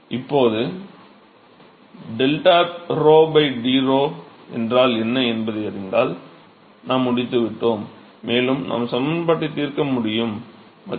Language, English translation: Tamil, So, now, if we know what is delta rho by d rho we are done, and we should be able to solve the equation and